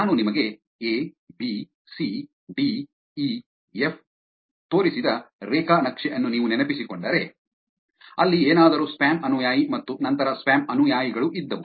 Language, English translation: Kannada, If you remember the graph that I showed you a, b, c, d, e, f where there was something as spam follower and then something that was spam followings